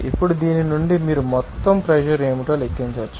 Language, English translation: Telugu, Now, from this you can calculate what should be the total pressure